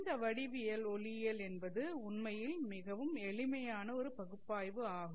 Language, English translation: Tamil, This geometrical optics is kind of very simple analysis in the sense that it is actually a simplistic analysis